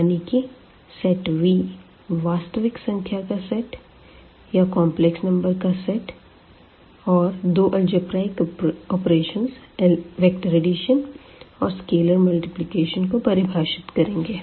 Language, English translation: Hindi, So, the mean set V here one another set of real numbers or the set of complex number and two algebraic operations which we call vector addition and scalar multiplication